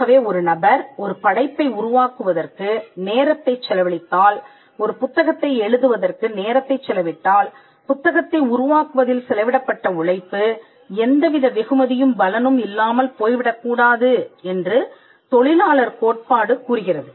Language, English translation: Tamil, So, the labour theory which states that if a person expense time in creating a work for instance writing a book then it should not be that the labour that was spent in creating the book goes unrewarded